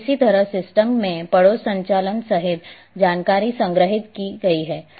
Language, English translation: Hindi, And likewise, information including neighbourhood operation has been stored in the system